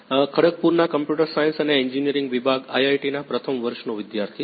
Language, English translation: Gujarati, first year student from Department of Computer Science and Engineering IIT, Kharagpur